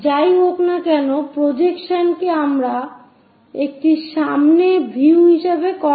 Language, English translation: Bengali, So, this one whatever the projection one we call as front view here